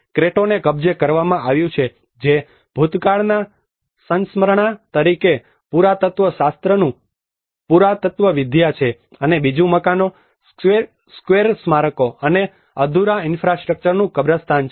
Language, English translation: Gujarati, The Cretto is captured which is archaeology of archaeology as a reminder of the past; and the second is a cemetery of houses, squares, monuments, and unfinished infrastructure